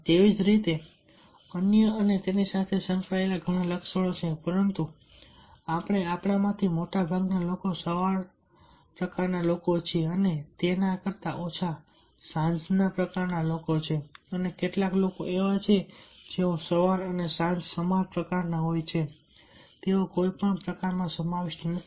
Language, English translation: Gujarati, there are many attributes that is associated with that, but we are most of us are morning type people and less than that are the evening type people, and some people are there, those who are equally morning and evening type